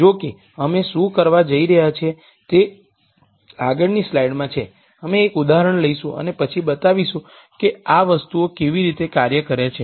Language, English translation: Gujarati, However, what we are going to do is in the next slide we will take an example and then show you how these things work